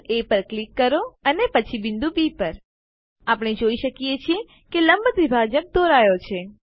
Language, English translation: Gujarati, click on the point A and then on pointB We see that a Perpendicular bisector is drawn